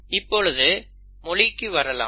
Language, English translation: Tamil, Now let us come to the language